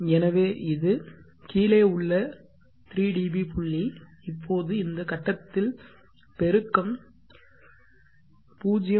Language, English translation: Tamil, So this is the 3dp below point, now at this point the gain is 0